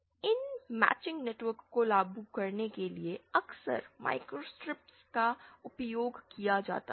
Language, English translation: Hindi, Microstrips are often used for implementing these matching networks